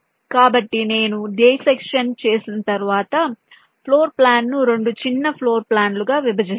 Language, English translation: Telugu, once i do a dissection, i divide the floor plan into two smaller floor plans